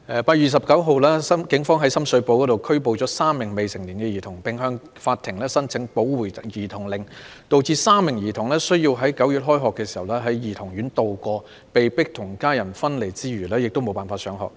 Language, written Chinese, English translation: Cantonese, 8月29日，警方於深水埗拘捕3名未成年兒童，並向法庭申請保護兒童令，導致該3名兒童在9月開學時須在兒童院內度過，除被迫與家人分離外，亦無法上學。, On 29 August three minors were arrested in Sham Shui Po by the Police and applications were made to the court for child protection orders . As a result the three minors were required to stay at childrens homes when the new school term started in September . They were not only forced to separate from their families but also deprived of the right to attend school